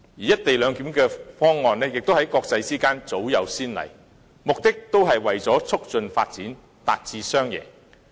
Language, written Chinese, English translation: Cantonese, "一地兩檢"的方案在國際間早有先例，目的是為了促進發展，達致雙贏。, In the international arena there are precedents of co - location arrangements for the purpose of promoting development and achieving win - win situations